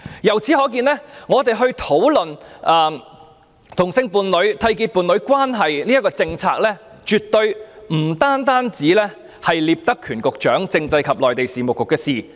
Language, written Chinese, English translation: Cantonese, 由此可見，當討論同性伴侶締結伴侶關係的政策時，絕對不單涉及聶德權局長所負責的政制及內地事務局。, It can thus be seen that when the policies for homosexual couples to enter into a union is discussed the discussion definitely involves not only the Constitutional and Mainland Affairs Bureau headed by Secretary Patrick NIP